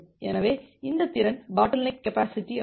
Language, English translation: Tamil, So, this capacity is the bottleneck capacity